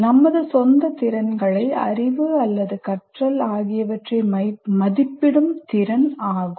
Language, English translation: Tamil, Or it is the ability to assess our own skills, knowledge, or learning